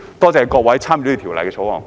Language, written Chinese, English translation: Cantonese, 多謝各位參與審議《條例草案》的議員。, I would like to thank all Members who have participated in the scrutiny of the Bill